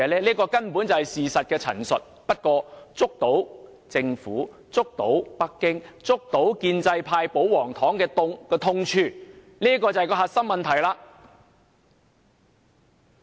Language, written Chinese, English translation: Cantonese, 這根本是事實的陳述，但卻觸及政府、北京、建制派和保皇黨的痛處，這才是核心問題。, This is just a statement of fact but it touches the sore spot of the Government Beijing as well as the pro - establishment and royalist camps and this is the crux of the matter